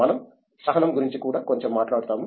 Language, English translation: Telugu, May be we will talk of patience also a little bit